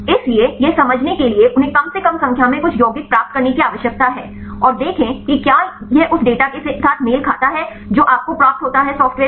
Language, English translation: Hindi, So, to understand how they get the numbers at least you need to derive for some compounds and see whether this matches with the data which you get from the software